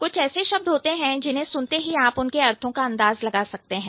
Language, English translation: Hindi, There are certain words when you hear that, you can infer the meaning